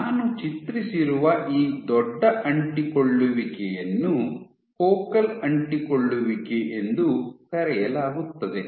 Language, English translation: Kannada, So, these larger adhesions that I had drawn, so, these are called focal adhesions